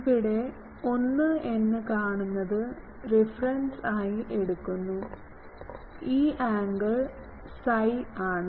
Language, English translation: Malayalam, And my thing is I take the, this driven 1 as a reference and this angle is my psi angle ok